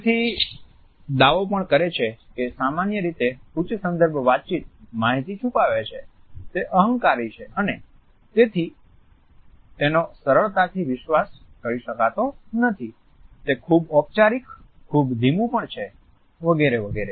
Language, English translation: Gujarati, It therefore, also claims that high context communication normally hides information, it is arrogant and therefore, it cannot be trusted easily, it is too formal; too slow etcetera